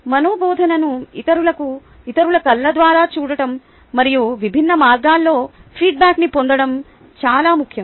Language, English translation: Telugu, it is important to see our teaching through others eyes and seek feedback in diverse ways